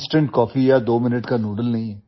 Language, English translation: Hindi, It is not instant coffee or twominute noodles